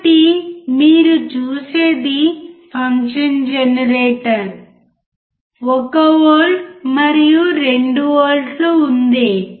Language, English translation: Telugu, So, what you see is function generator, There is 1V and 2V